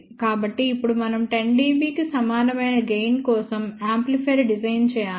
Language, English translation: Telugu, So, now we have to design an amplifier for gain equal to 10 dB